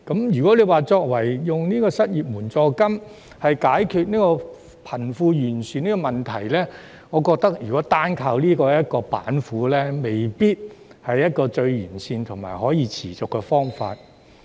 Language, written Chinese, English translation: Cantonese, 如果以失業援助金解決貧富懸殊問題，我覺得單靠這道板斧未必是最完善或可持續的方法。, If the unemployment assistance is used to address the disparity between the rich and the poor I think this initiative alone may not be the most comprehensive or sustainable solution